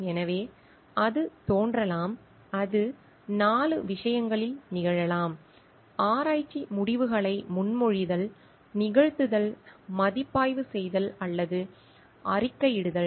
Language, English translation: Tamil, So, it can appear it can happen in 4 things; proposing, performing, reviewing or in reporting research results